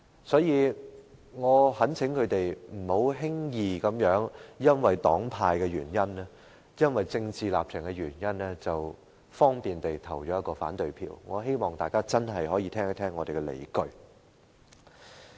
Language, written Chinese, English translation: Cantonese, 所以，我懇請他們不要輕易因為黨派、政治立場的原因，便輕易地投下反對票，我希望大家可以先聽一聽我們的理據。, Therefore I sincerely ask them to refrain from casting an opposition vote casually for reasons of their political affiliation and political stance . I hope Members can listen to our grounds first